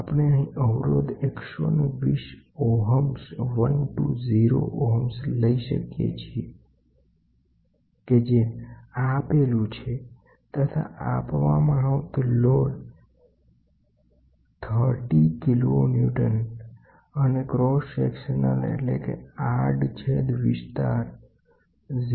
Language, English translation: Gujarati, We can take the resistance which is given as 120 ohms and then the load applied is 30 kiloNewton and the area of cross section which is given is 0